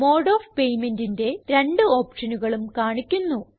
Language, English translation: Malayalam, Both the options for mode of payment are displayed